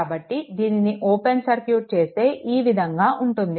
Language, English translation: Telugu, So, if you open it your circuit will be like this circuit will be like this